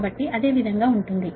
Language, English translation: Telugu, so that is, that is the idea